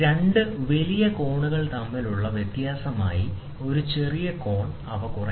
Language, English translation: Malayalam, They can be subtracted to form a smaller angle as a difference between two large angles